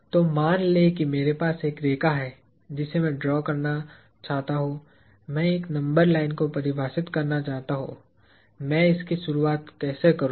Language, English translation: Hindi, So, let us say I have a line on which I want to draw, I want to define a number line; how do I go about it